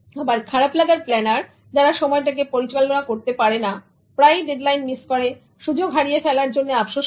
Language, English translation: Bengali, Whereas bad planners, those who mismanaged time often miss deadlines and regret over lost opportunities